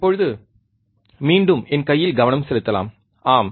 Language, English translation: Tamil, Now, we can focus again on my hand, yes